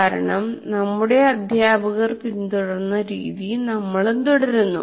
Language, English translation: Malayalam, Because we teachers follow the method our teachers followed